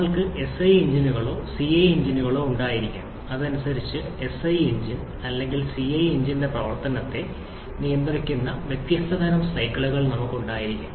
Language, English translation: Malayalam, We can have SI engines or CI engines and accordingly we can have different types of cycles governing the operation of either SI engine or CI engine